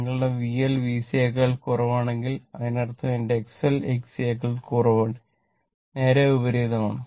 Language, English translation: Malayalam, Suppose if your V L less than V C, that means, my X L less than X C just opposite